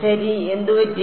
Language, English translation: Malayalam, So, what is fine